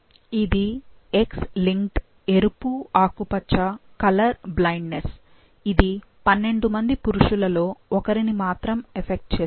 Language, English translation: Telugu, This is X linked red green colour blindness, affects 1 in 12 males